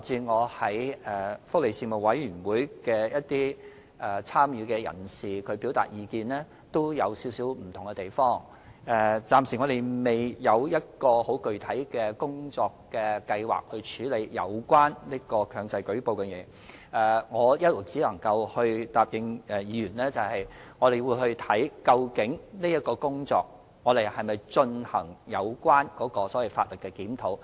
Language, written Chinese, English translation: Cantonese, 我們暫時仍未有很具體的工作計劃處理有關強制性舉報的建議。只能夠答應議員，我們會就這項工作研究是否有需要進行法例檢討。, Since we have yet to formulate any concrete work plan on the proposed mandatory reporting mechanism we can only promise Members that consideration will be made to see if there is a need to conduct a review of the relevant legislation